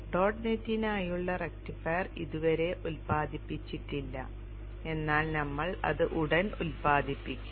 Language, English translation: Malayalam, rectifier for dot net is not it generated but we will shortly generate that